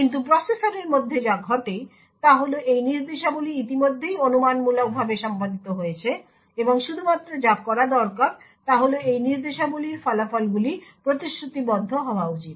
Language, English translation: Bengali, But what happens within the processor is that these instructions are already speculatively executed and the only thing that is required to be done is that the results of these instructions should be committed